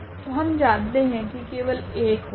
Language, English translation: Hindi, So, we know already that there would be only one